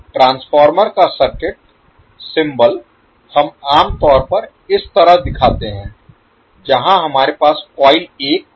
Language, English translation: Hindi, The circuit symbol of the transformer we generally show like this where we have the coil one and two